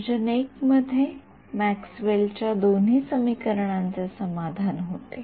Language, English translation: Marathi, In region I Maxwell’s equations is satisfied by both